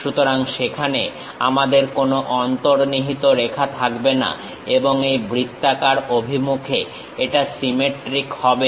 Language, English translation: Bengali, So, there are no hidden lines we will be having and is symmetric in this round direction